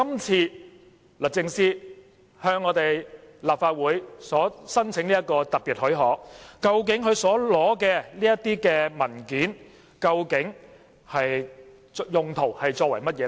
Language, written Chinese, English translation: Cantonese, 至於律政司這次向立法會申請的特別許可，究竟須取得的文件用途何在？, Regarding the application for special leave lodged by DoJ to the Legislative Council what is the use for producing the specified documents?